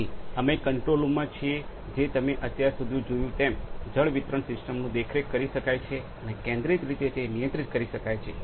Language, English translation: Gujarati, So, we are at the control room the monitoring point from where the water distribution system that you have seen so far can be monitored and centrally controlled